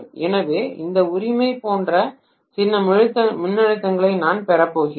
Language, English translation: Tamil, So I am going to have some voltage like this right